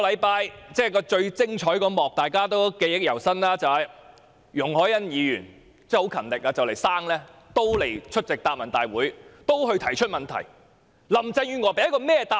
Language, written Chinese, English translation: Cantonese, 大家對上星期最精彩的一幕應該記憶猶新，就是容海恩議員十分勤力，快將臨盆仍出席答問會和提出質詢。, The most wonderful scene of the meeting last week should be still vivid in our memory―Ms YUNG Hoi - yan being very diligent still attended the Question and Answer Session and asked a question even though she was going to go into labour